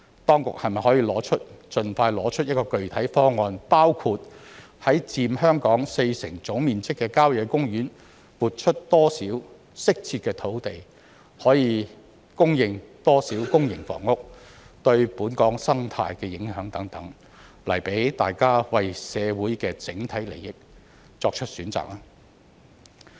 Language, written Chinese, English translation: Cantonese, 當局是否可以盡快提出具體方案，包括在佔香港四成總面積的郊野公園撥出多少適切的用地、可供應多少公營房屋、對本港生態的影響等，來讓大家為社會的整體利益作出選擇呢？, Can the authorities expeditiously put forward specific options with details including how much suitable land will be allocated from country parks which account for 40 % of Hong Kongs total area how much PRH units can be provided and the impact on Hong Kongs ecology so that we can make informed choices in the overall interests of society?